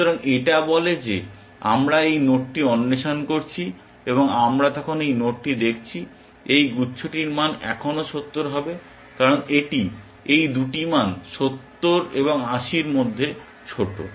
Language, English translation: Bengali, So, which amounts to say that we are exploring this node, and we are looking at this node then, the value of this cluster would still be 70 because that is the lower of this two values 70 and 80